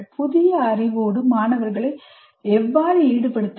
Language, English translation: Tamil, Once the students are engaged with the knowledge, how do you engage